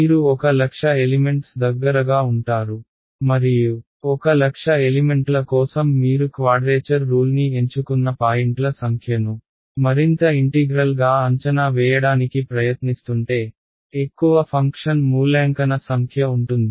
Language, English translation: Telugu, You will have close to a lakh elements right and for a lakh elements if you are trying to evaluate this integral the number of points you choose in your quadrature rule the more the number of points the more the number of function evaluations